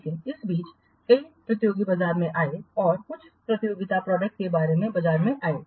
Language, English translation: Hindi, But in the meanwhile, several competitors came into the market and some competing products they come into the market